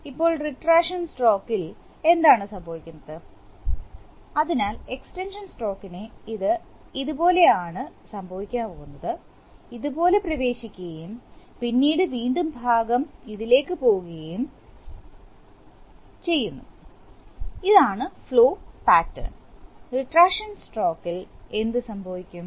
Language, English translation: Malayalam, Now what happens in the retraction stroke, in the retraction stroke, so in the extension stroke it is going to go like this, like this, it enters like this and then again part goes this and part goes, this is the flow patterns in the extension through, what happens in the retraction stroke